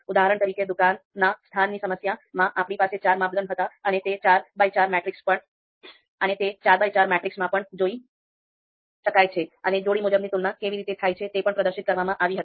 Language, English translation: Gujarati, So for example, you know shop location case that we discussed we had four criteria and you can see this is four by four matrix and how the pairwise comparisons they have been you know displayed here